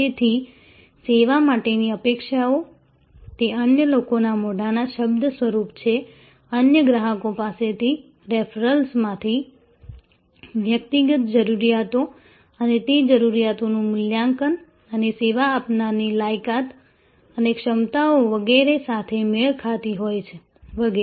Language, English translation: Gujarati, So, expectations for a service, those are form by word of mouth from other people, from other customers, from the referrals, from personal needs and evaluation of those needs and matching with the service provider qualification and capabilities, etc